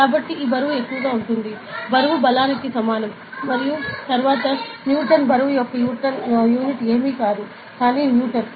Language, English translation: Telugu, So, this much weight, weight is equivalent to force and then Newton the unit of weight is nothing, but Newton